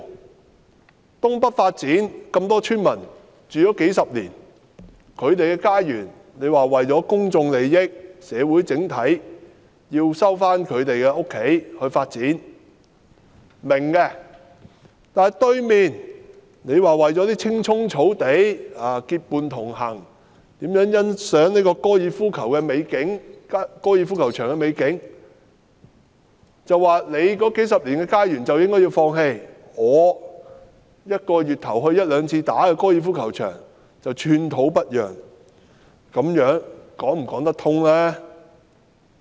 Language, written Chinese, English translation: Cantonese, 為推行東北發展計劃，多個村民住了數十年的家園，政府說為了公眾利益和社會整體利益而要收回來進行發展，我們是明白的；但在對面的高爾夫球場，你卻說為了在青蔥草地上結伴同遊，欣賞高爾夫球場的美景，市民數十年的家園你卻說應該放棄，而你一個月前往一兩次的高爾夫球場則寸土不讓，這樣說得過去嗎？, For the sake of the North East New Territories development project the homes of many villagers for decades have to be resumed for development in public interest and in the overall interest of society according to the Government . This we understand . But when it comes to the golf course just opposite these villagers homes you say that it is where you hang out with friends on the green green grass to enjoy the beautiful scenery of the golf course and while you say that the homes of the people for decades should be given up not an inch can be budged regarding the golf course where you go once or twice a month